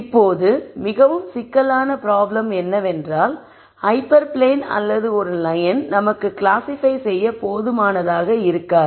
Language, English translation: Tamil, Now, more complicated problems are where hyper plane or a line might not be enough for us to classify